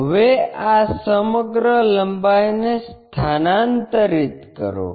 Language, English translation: Gujarati, Now transfer this entire length